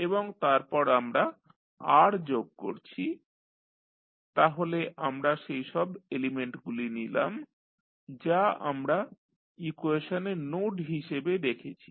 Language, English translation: Bengali, And, then we add R so, we have put all the elements which we have seen in the equation as nodes